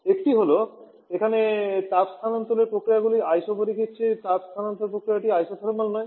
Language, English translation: Bengali, One is, here the heat transfer processes are not isothermal rather heat transfer process there Isobaric